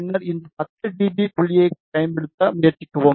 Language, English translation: Tamil, And then try to use this 10 dB point